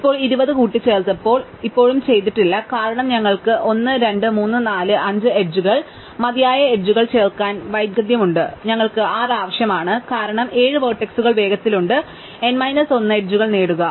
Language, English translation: Malayalam, Now, having added 20, then we still are not done, because we have added we have still to add enough edges we have 1, 2, 3, 4, 5 edges and we need 6, because we have 7 vertices quickly, we get n minus 1 edges